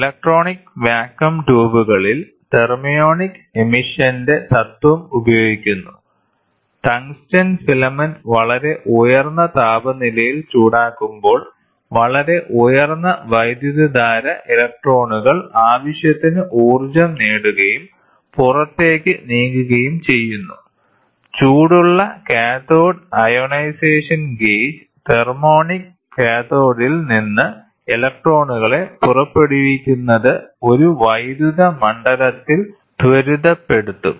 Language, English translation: Malayalam, The principle of thermion emission is employed in electronic vacuum tubes; when the tungsten filament is heated at a very high temperature passing, very high current, the electrons acquire sufficient energy and moved into the space, the hot cathode ionization gauge, the electron emit from the thermionic cathode will be accelerated in an electric field